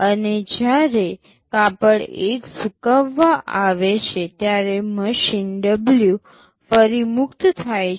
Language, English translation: Gujarati, And when cloth 1 has come for drying, machine W is free again